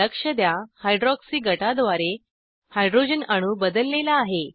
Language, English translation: Marathi, Observe that the hydrogen atom is replaced by hydroxy group